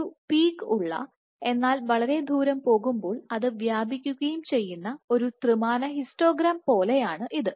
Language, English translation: Malayalam, It is like a 3 d histogram which has a given peak, but it also has a spread as you go far out